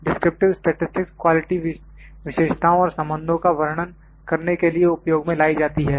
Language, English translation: Hindi, Descriptive statistics are these are used to describe the quality characteristics and relationships